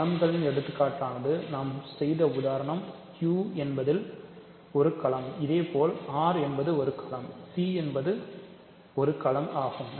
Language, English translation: Tamil, So, examples of fields are, Q is a field because of the example I did, similarly R is a field C is a field; so, are fields